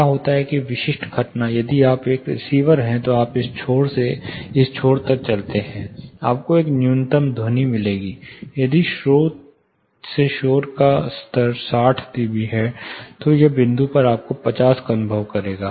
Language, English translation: Hindi, What happens a specific phenomena, if you are a receiver, you walk along from this end to this end, you will find a minimum sound minimum; say if the, you know noise level from source of 60 db, at this point you will be experiencing 50